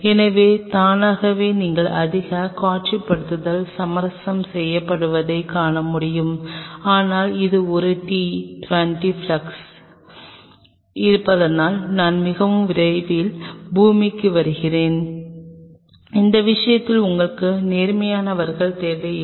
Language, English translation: Tamil, So, automatically you want be able to see much visualization will be compromised, but since it is a t 20 flasks I will come to the earth side very soon that you do not need the upright in that case